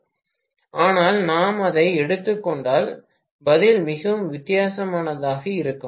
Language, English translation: Tamil, But if we take that, the answer will be very different